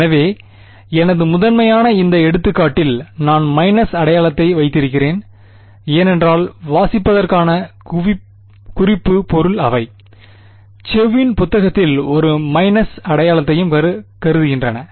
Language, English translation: Tamil, So, my primarily in this example, I am keeping the minus sign because the reference material which is there for reading they also assume a minus sign which is in chose book